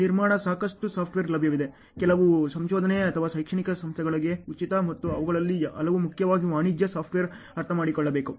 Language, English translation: Kannada, Lot of software are available in construction some are free for research or academic institutions and many of them are primarily commercial software ok, that you have to understand